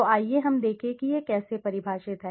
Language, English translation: Hindi, So let us see how this is defined